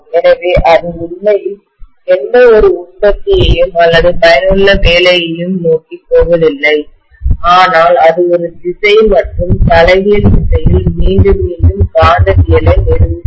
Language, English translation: Tamil, So that is really not going towards any productive or useful work but it is establishing the magnetism in one direction and the reverse repeatedly